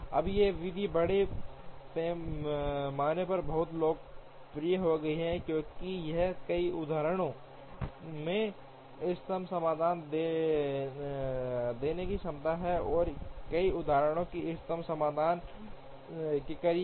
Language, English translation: Hindi, Now, this method became very popular largely because of it is ability to give optimum solutions in many instances, and close to optimum solutions in many instances as well